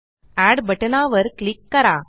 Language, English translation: Marathi, Click on the Add button